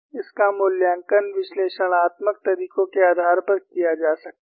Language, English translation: Hindi, It could be evaluated based on analytical methods